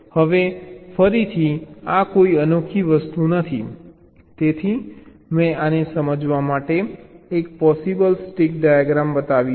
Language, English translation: Gujarati, now again, this is a, not a unique thing, so i have shown one possible stick diagram to realize this